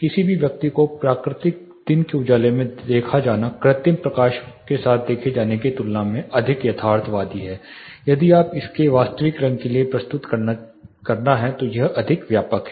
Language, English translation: Hindi, Any object seen in natural daylight is you know more realistic than rendering it with artificial lighting it is more energy extensive